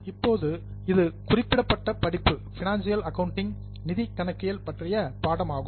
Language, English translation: Tamil, Now, this particular course is on financial accounting